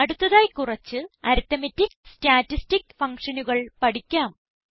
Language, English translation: Malayalam, Next, lets learn a few arithmetic and statistic functions